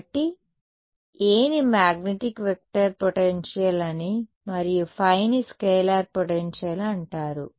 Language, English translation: Telugu, So, A is called the magnetic vector potential and phi is called the scalar potential right